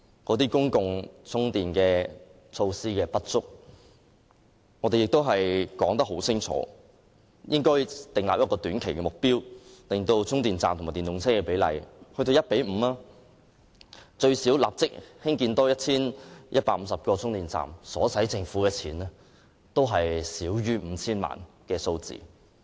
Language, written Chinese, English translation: Cantonese, 鑒於公共充電設施不足，我們已清楚說明，應訂立短期目標，令充電站和電動車的比例增至 1：5， 故此應立即多興建最少 1,150 個充電站，而這些充電站所需的公帑少於 5,000 萬元。, Given the lack of public charging facilities we have clearly stated that we should set a short - term target of increasing the ratio of charging stations to electric vehicles to 1col5 . At least 1 150 charging stations should thus be built immediately and the amount of public coffers which these charging stations cost is less than 50 million